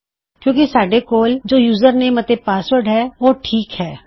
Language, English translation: Punjabi, So because we have got username and password then thats fine